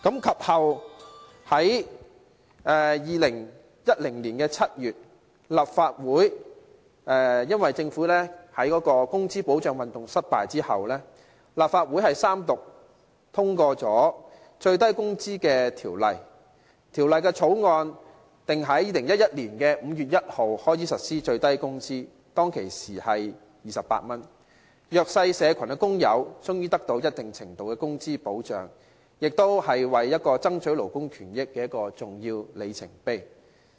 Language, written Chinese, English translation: Cantonese, 其後，在2010年7月，政府在"工資保障運動"失敗後，立法會三讀通過《最低工資條例》，並在2011年5月1日開始實施最低工資，當時是28元，弱勢社群的工友終於獲得一定程度的工資保障，亦是爭取勞工權益的重要里程碑。, In July 2010 after the failure of the Wage Protection Movement the Minimum Wage Ordinance was enacted after three Readings by this Council and the implementation of SMW which was 28 at the time commenced on 1 May 2011 . Disadvantaged workers finally received a certain degree of wage protection and it was an important milestone in the fight for labour rights